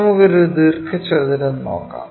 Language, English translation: Malayalam, Let us look at a rectangle